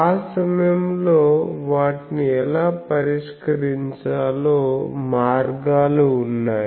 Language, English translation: Telugu, So that time, there are ways how to tackle those